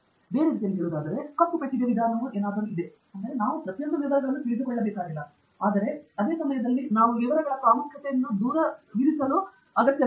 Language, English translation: Kannada, So in other words, there is something like a black box approach, we do not need to know every single detail, but at the same time we do not need to also brush away the importance of details